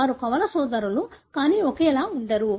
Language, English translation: Telugu, Either they are twin brothers, but not identical